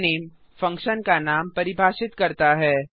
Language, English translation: Hindi, fun name defines the name of the function